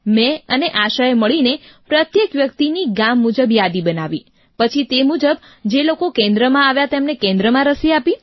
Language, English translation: Gujarati, ASHA and I together prepared a village wise DUE list…and then accordingly, people who came to the centre were administered at the centre itself